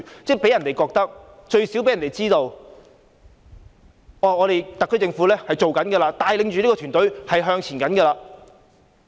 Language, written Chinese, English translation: Cantonese, 這樣一來，市民最少會知道特區政府正在做事，帶領着團隊向前行。, In this way people at least will know that the SAR Government is doing something to lead its team forward